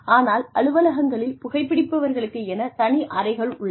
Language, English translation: Tamil, So, but then, there are offices, that have separate zones for smokers